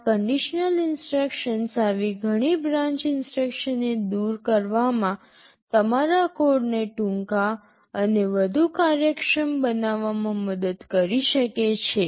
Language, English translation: Gujarati, These conditional instructions can help in eliminating many such branch instructions make your code shorter and more efficient